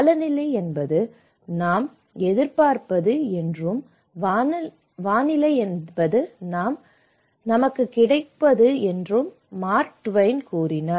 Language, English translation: Tamil, Mark Twain simply tells climate is what we expect and weather it is what we get